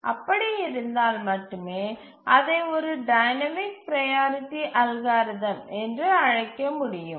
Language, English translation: Tamil, So how do we really call it as a dynamic priority scheduling algorithm